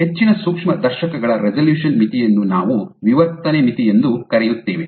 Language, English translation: Kannada, So, the resolution limit of most microscopes So, you call it the diffraction limit